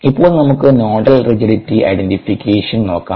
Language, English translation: Malayalam, let us look at nodal rigidity identification